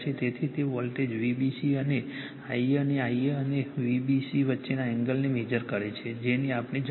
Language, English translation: Gujarati, So, it measures the voltage V b c and the I a and the angle between the I a and V b c that we need